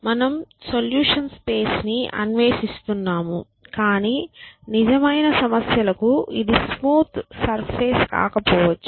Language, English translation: Telugu, So, essentially we are exploring the solutions space which for real problems may not be a smooth surface